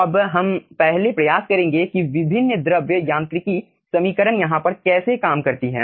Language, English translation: Hindi, how different fluid mechanics equation works over here